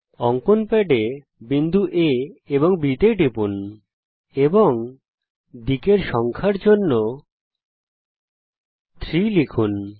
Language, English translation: Bengali, Click on drawing pad points A ,B, and enter 3 for the number of sides